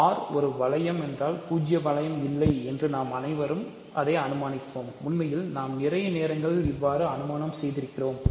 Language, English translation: Tamil, So, if R is a ring and we will all assume it if for now that it is not the 0 ring that is in fact, an assumption that we make most of the time